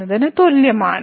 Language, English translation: Malayalam, So, is equal to